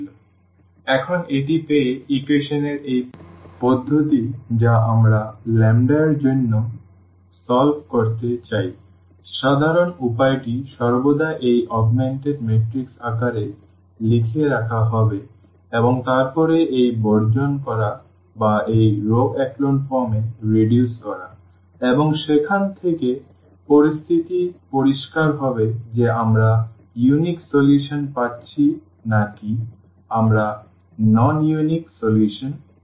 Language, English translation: Bengali, So, having this now, this system of equations which we want to solve for lambdas the general way would be always to write down in the form of this augmented matrix and then do this elimination or reduce to this row echelon form and from there the situation will be clear whether we are getting unique solution or we are getting non unique solution